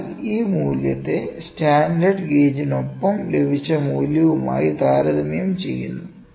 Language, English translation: Malayalam, So, this value is compared with the value obtained with the standard gauge